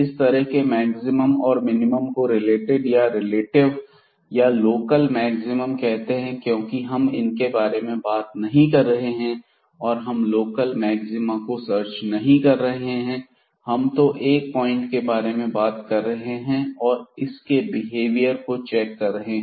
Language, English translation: Hindi, And such maximum or minimum is called relative or local maximum because we are not talking about or we are not searching the local and maxima, the maximum and the minimum of the function in the entire domain